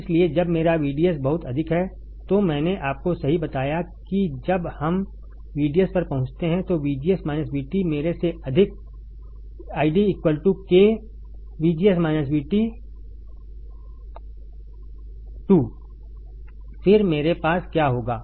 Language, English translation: Hindi, So, when my VDS is extremely high I told you right when we reach VDS extremely high, greater than VGS minus V T, and my I D equals to k times VGS minus V T volts square then what will I have